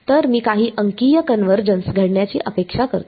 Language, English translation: Marathi, So, I would expect some kind of numerical convergence to happen